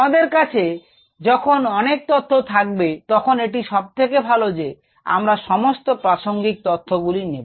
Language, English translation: Bengali, when we have a set of data, it's best for used all the relevant once